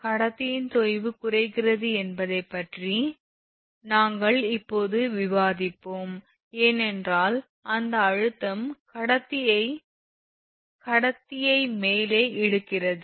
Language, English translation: Tamil, So, we have just discussed that that sag of the conductor decreases, because it tensions pulls the conductor up right